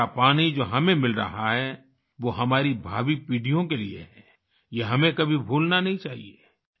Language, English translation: Hindi, The rain water that we are getting is for our future generations, we should never forget that